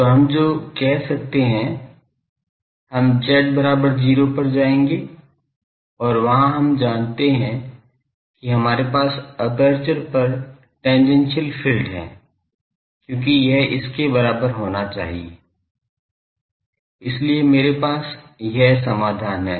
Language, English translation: Hindi, So, what we can say that, we will go to z is equal to 0 and there we know that, we have the tangential field on the aperture as this and this should be equal to; so, I have this solution, I have this solution